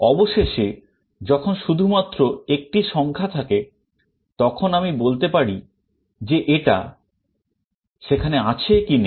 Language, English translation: Bengali, Finally, when there is only 1 element, I can tell that whether it is there or not